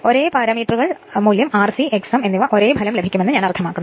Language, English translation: Malayalam, I mean you will get the same result same parameters value R c and X m